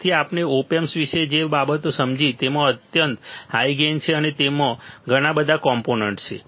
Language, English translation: Gujarati, So, two things we understood about op amp, it has extremely high gain and it has lot of components